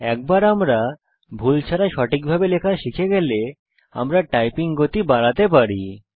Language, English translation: Bengali, Once, we learn to type accurately, without mistakes, we can increase the typing speed